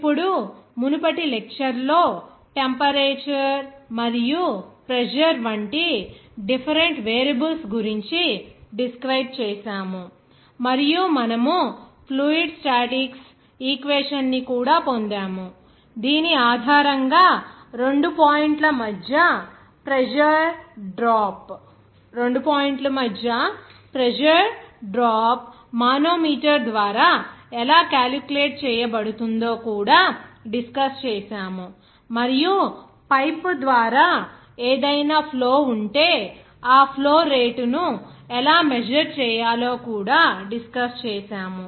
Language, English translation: Telugu, Now, the previous lecture we have described the different variables out of which temperature and pressure was discussed and also we have derived the fluid statics equation based on which how the pressure drop between 2 points can be calculated by manometer and also we have discussed that if there are any flow through the pipe, how to measure that flow rates